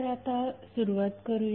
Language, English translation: Marathi, So, now let us start